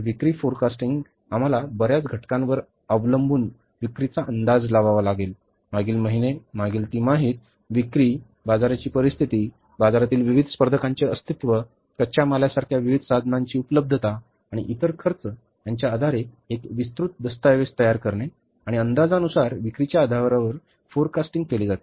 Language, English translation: Marathi, Sales forecasting, we have to forecast the sales that depending upon many factors, previous months, previous quarter sales, the market situation, existence of the various competitors in the market, availability of the different inputs like raw material and other expenses, we have to prepare a comprehensive document